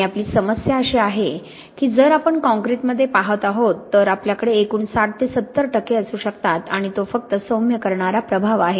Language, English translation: Marathi, And the problem we have that if we are looking in concrete then we can have about sixty to seventy percent of aggregate and that’s just the diluting effect